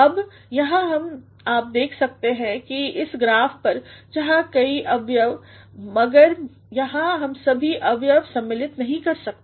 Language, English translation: Hindi, Now, here you can look at this graph where there are several components but we cannot cover all the components here